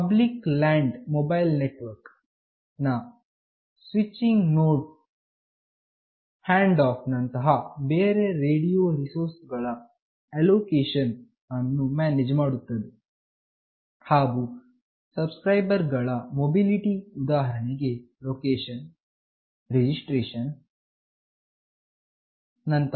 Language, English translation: Kannada, The switching node of a Public Land Mobile Network manages allocation of radio resources like handoff, and mobility of subscribers like location, registration etc